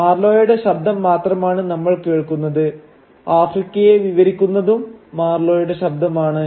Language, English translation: Malayalam, It is only Marlow’s voice that we hear and it is Marlow’s voice that describes Africa